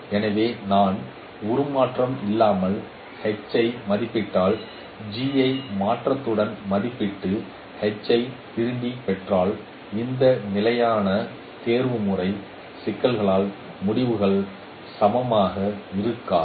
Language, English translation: Tamil, So if I estimate H without transformation and if I estimate G with transformation and convert, get back the H from there, the results won't be equivalent because of this constant optimization issues